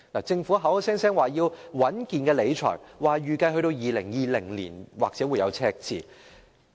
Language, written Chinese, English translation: Cantonese, 政府口口聲聲說要穩健理財，說預計2020年或許會有赤字。, The Government claims that prudent fiscal management is necessary and a fiscal deficit may occur in 2020 in its projection